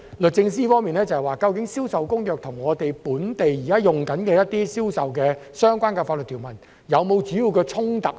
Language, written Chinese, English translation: Cantonese, 律政司方面表示，究竟《銷售公約》與我們本地現行一些與銷售相關的法律條文是否有主要的衝突？, According to the Department of Justice are there any major conflicts between CISG and the existing sale - related legal provisions in Hong Kong?